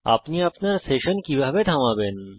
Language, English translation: Bengali, How do you pause your session